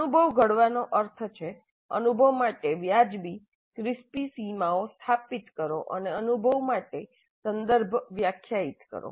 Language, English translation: Gujarati, So framing the experience means establish reasonably crisp boundaries for the experience and define the context for the experience